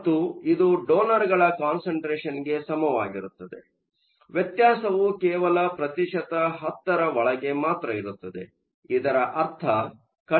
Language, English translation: Kannada, And, it is equal to the donor concentration; the difference is only within 10 percent